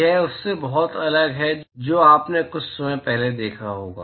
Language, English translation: Hindi, It is very different from what you would have seen a short while ago